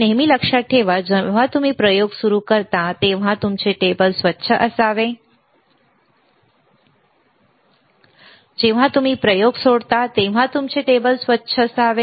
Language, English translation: Marathi, Always remember, when you start the experiment, your table should be clean; when you leave the experiment your table should be clean, right